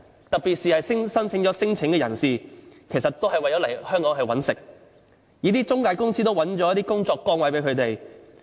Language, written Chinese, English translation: Cantonese, 特別是提出了聲請的人士，很多都是為了來香港謀生，一些中介公司亦安排了一些工作崗位給他們。, In particular most claimants lodge their claims just because they want to make a living in Hong Kong . Some intermediary companies or agencies will arrange jobs for them